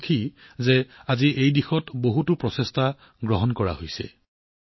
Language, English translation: Assamese, I am happy that, today, many efforts are being made in this direction